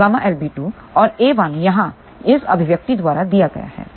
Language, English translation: Hindi, So, a 2 is gamma L times b 2 and a 1 is given by this expression here